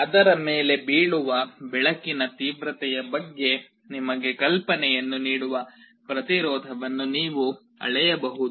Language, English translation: Kannada, You can measure the resistance that will give you an idea about the intensity of light that is falling on it